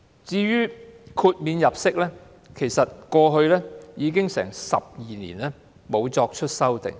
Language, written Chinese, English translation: Cantonese, 至於豁免入息方面，已經12年沒有作出修訂。, The amount of disregarded earnings has not been revised in 12 years